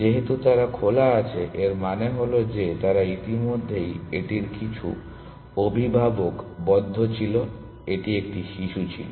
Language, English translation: Bengali, So, since they are on open it means that they already had some parent in the closed of it is, it was a child